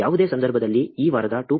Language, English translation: Kannada, In any case, my work for this week 2